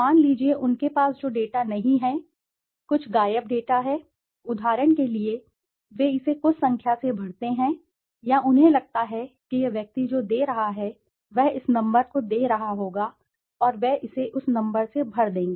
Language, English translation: Hindi, Suppose, the data they do not, there is some missing data, for example, they fill it up by some number or they feel that this person should be giving would be giving this number and they fill it up with that number